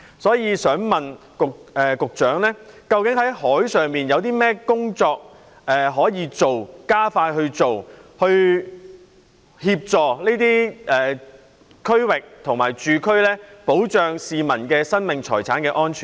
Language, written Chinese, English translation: Cantonese, 就此，我想請問局長，政府在海上有甚麼工作可以做，可否加快做，以協助這些區域的居民，從而保障市民生命財產的安全呢？, In this connection may I ask the Secretary what efforts can be made by the Government and expedited at sea in order to help residents living at these locations with a view to protecting the lives and properties of the public?